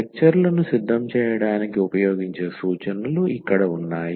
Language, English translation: Telugu, So, here are the references used for preparing the lectures and